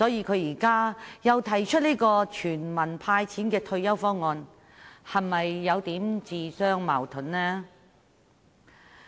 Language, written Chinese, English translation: Cantonese, 他現在提出"全民派錢"的退休保障方案，是否有點自相矛盾呢？, Now he has put forth a proposal of retirement protection in the form of handouts for all people . Is he not a bit self - contradictory?